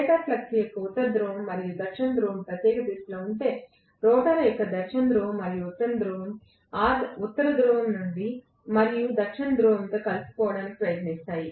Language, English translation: Telugu, If the North Pole and South Pole of the stator flux is in particular direction, the South Pole and North Pole of the rotor will try to align itself with those North Pole and South Pole